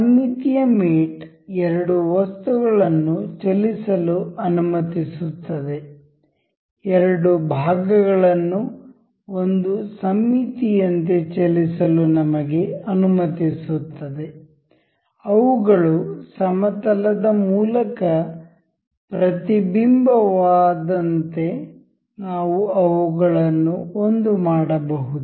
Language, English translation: Kannada, Symmetric mate allows us to move two items, two elements as as a symmetry, we can couple them as a as if they were as if they were mirrored along a mirror; along a plane sorry